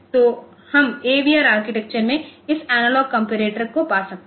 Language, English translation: Hindi, So, we can have this analog comparator in the AVR architecture